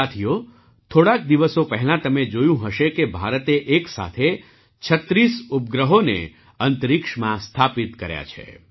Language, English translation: Gujarati, Friends, you must have seen a few days ago, that India has placed 36 satellites in space simultaneously